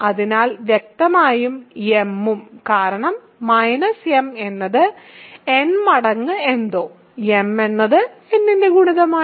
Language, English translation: Malayalam, And, hence m is divisible by n which is another way of saying m is a multiple of n right